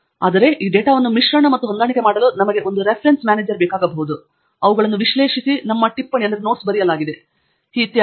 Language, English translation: Kannada, However, we may need a Reference Manager to be able to mix and match these data, analyze them, have our notes written, etcetera